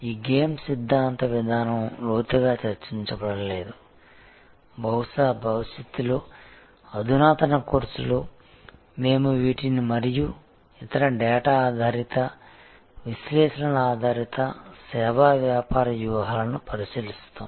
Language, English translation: Telugu, This game theoretic approach was not discussed in depth, perhaps in a future advanced course, we will look at these and other more data driven, analytics driven service business strategies